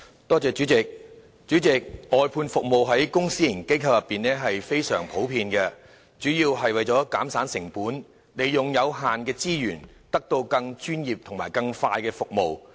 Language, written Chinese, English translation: Cantonese, 代理主席，外判服務在公私營機構中非常普遍，主要是為了減省成本，利用有限的資源，以獲得更專業及快速的服務。, Deputy President the outsourcing of services is very common in public and private organizations . The main purpose is to reduce costs and make use of limited resources to obtain more professional and faster services